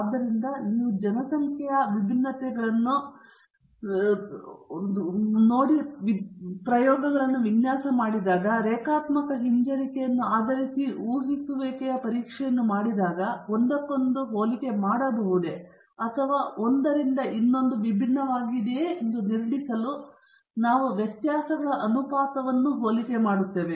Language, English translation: Kannada, So, when you do hypothesis testing on population variances designed experiments and linear regression, we compare ratios of variances in order to infer whether they are comparable to one another or one is much different from the other